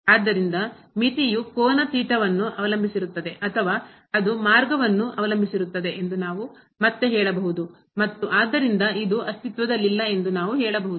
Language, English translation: Kannada, So, again the similar situation that the limit depends on the angle theta or it depends on the path, we can say and hence this does not exist